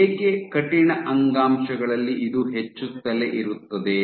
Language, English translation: Kannada, Why in stiff tissues this keeps on increasing